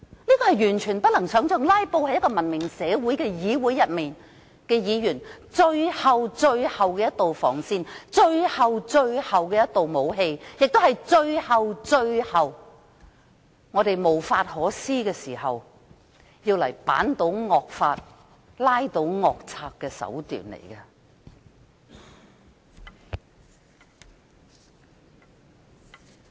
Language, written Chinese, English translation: Cantonese, 這是完全不能想象的，"拉布"是文明社會的議員的最後防線和最後的武器，也是我們最終無法可施時，用作推倒惡法、拉倒惡賊的手段。, This is totally inconceivable . Filibustering is the last line of defence and the last resort for Members in a civilized society . It is also a means for us to sabotage draconian laws and defeating culprits when we ultimately have no other option